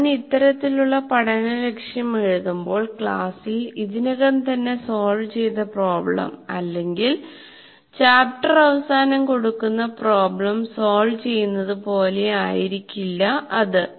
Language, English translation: Malayalam, When I write this kind of thing, learning goal, it may not be like solving the problems that are already worked out in the class or at the end of the chapter of problems, it may not be that